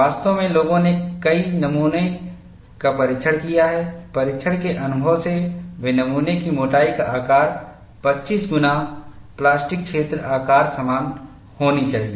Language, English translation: Hindi, In fact, people have tested several specimens; from testing experience, they have arrived at the size of the specimen thickness should be, 25 times the plastic zone size